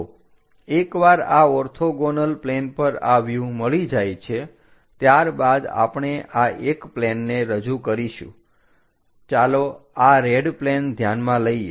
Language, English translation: Gujarati, So, once these views are obtained on these orthogonal planes, what we do is we represents this one plane ; the red plane let us consider